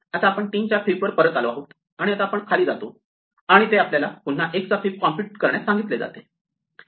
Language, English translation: Marathi, Now we come back to fib of 3, and now we go down and it asks us to compute fib of 1 again